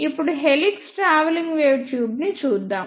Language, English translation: Telugu, After that we started helix travelling wave tubes